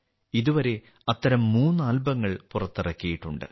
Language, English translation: Malayalam, So far, three such albums have been launched